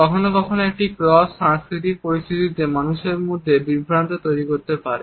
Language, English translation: Bengali, Sometimes it may generate confusions among people in cross cultural situations